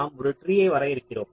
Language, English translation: Tamil, fine, so we define a tree